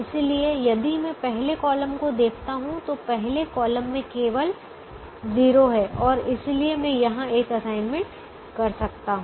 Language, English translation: Hindi, so if i look at the first column, the first column has only one zero and therefore i can make an assignment here